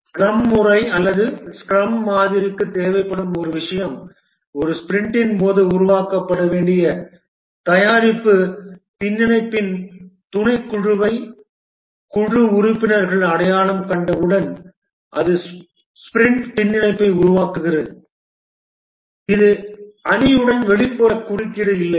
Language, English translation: Tamil, One thing that the scrum methodology or the scrum model, it requires that once the team members identify the subset of product backlog to be developed during a sprint which forms the sprint backlog, there is no outside interference with the team